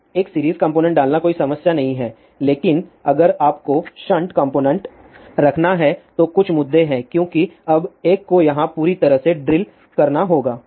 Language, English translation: Hindi, So, putting a series component is not a problem , but if you have to put a shunt component the there are certain issues are there because now one has to drill a whole here